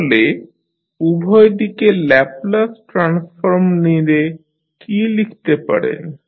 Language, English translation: Bengali, So, when you take the Laplace transform on both sides, what you can write